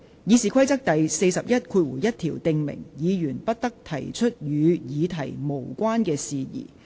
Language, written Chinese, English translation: Cantonese, 《議事規則》第411條訂明，議員不得提出與議題無關的事宜。, Rule 411 of the Rules of Procedure provides that a Member shall not introduce matter irrelevant to the subject